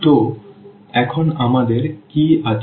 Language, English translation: Bengali, So, now what we have